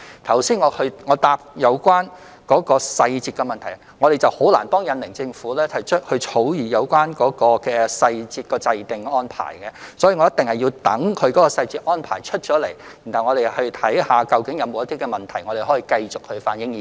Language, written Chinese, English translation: Cantonese, 關於剛才的答覆提及的實施細節問題，我們難以向印尼政府提出如何草擬實施細節的安排，故此我們一定要待他們公布細節安排後，才能檢視究竟有否問題，然後反映意見。, Regarding the question on the implementation details mentioned in the reply just now we are not in a position to propose to the Indonesian Government how to draft the implementation details . For this reason we must wait until they have announced the detailed arrangement . Only then can we examine whether there is any actual problem and then reflect our views